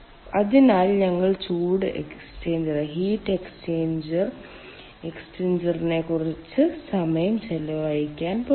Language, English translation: Malayalam, so we are going to spend some time on heat exchanger, thank you